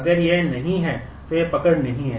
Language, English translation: Hindi, If it is not, then it does not hold